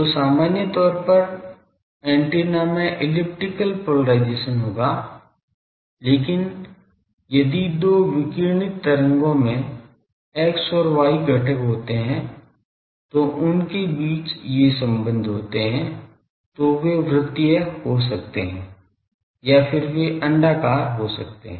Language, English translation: Hindi, So, in general the antenna will have elliptical polarisation, but if the two radiated waves the X and Y component they have this relationships then they may become circular or then they become elliptical